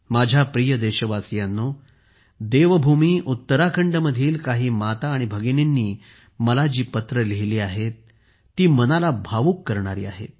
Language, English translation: Marathi, My dear countrymen, the letters written by some mothers and sisters of Devbhoomi Uttarakhand to me are touchingly heartwarming